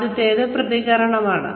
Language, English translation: Malayalam, The first is reaction